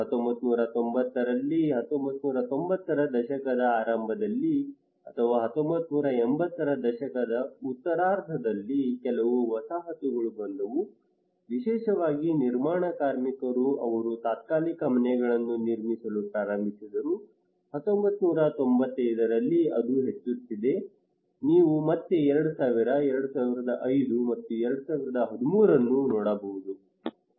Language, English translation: Kannada, In 1990 in the early 1990s or late 1980s some settlements have come especially the construction workers they started to build temporary houses, in 1995 that is also increasing you can see again 2000, 2005, and 2013